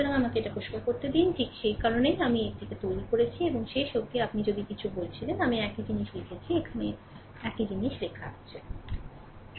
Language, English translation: Bengali, So, let me clean it , right that is why I have make it like this and finally, finally, if you the way I told whatever, I wrote same thing is written here same thing is written here, right